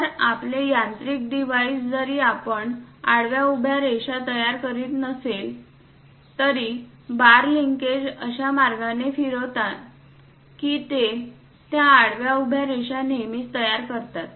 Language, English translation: Marathi, So, your mechanical device though we are not drawing constructed horizontal vertical lines; but the bars linkages moves in such a way that it always construct these horizontal vertical lines